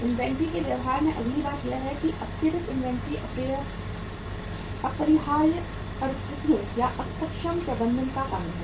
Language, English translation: Hindi, Next thing happens in the behaviour of inventory is that excessive inventory is due to unavoidable circumstances or inefficient management